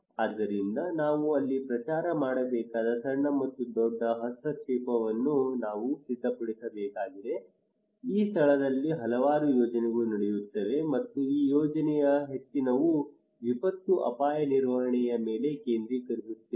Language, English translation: Kannada, So therefore we need to prepare them small and large intervention we need to promote there, there are so many projects are going on there in this place and many of this project are focusing on the disaster risk management and climate change adaptations